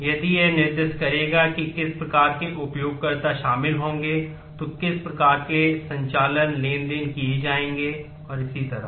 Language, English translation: Hindi, If it will specify what kind of users will be involved what kinds of operations transactions will be performed and so on